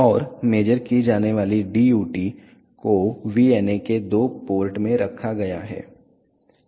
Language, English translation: Hindi, And the DUT to be measured is placed across the two ports of the VNA